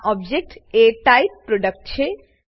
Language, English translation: Gujarati, This object is of type: Product